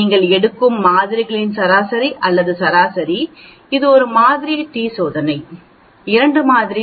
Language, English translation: Tamil, Average or mean of the samples which you are taking it out, whether it is one sample t test, 2 sample